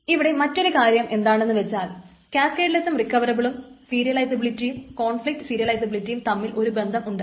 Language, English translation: Malayalam, Now one thing is that there is a connection between cascadless and recoverable, just like view serializability and conflict serializability